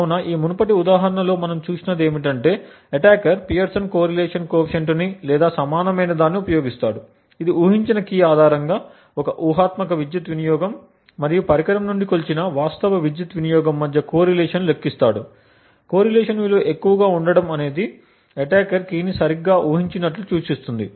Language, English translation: Telugu, So what we had looked in this previous example was that the attacker uses a Pearson's correlation coefficient or something equivalent in order to compute the correlation between a hypothetical power consumption based on a guess key and the actual power consumption measured from the device, a high value of correlation implies that the attacker has guessed the key correctly